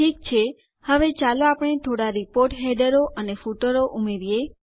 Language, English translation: Gujarati, Okay, now let us add some report headers and footers